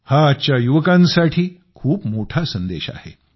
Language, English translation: Marathi, This is a significant message for today's youth